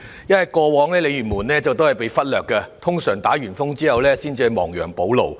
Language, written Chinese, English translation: Cantonese, 因為過往鯉魚門也會被忽略，一般在颱風後政府才亡羊補牢。, It was because Lei Yue Mun had been neglected in the past . The Government would only take remedial measures after the passage of typhoons